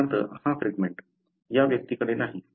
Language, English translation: Marathi, For example this fragment, this individual is not having